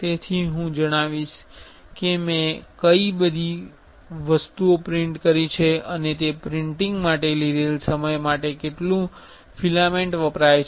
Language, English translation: Gujarati, So, I will know what all things I have printed and how much filament is used for that printing time it took